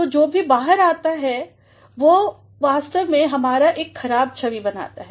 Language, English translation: Hindi, So, whatever goes out, it actually creates a bad image of us